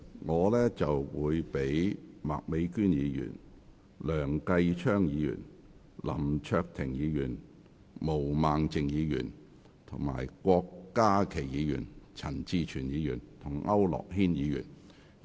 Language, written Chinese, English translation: Cantonese, 我會讓麥美娟議員、梁繼昌議員、林卓廷議員、毛孟靜議員、郭家麒議員、陳志全議員及區諾軒議員發言。, I will call upon Miss Alice MAK Mr Kenneth LEUNG Mr LAM Cheuk - ting Ms Claudia MO Dr KWOK Ka - ki Mr CHAN Chi - chuen and Mr AU Nok - hin to speak respectively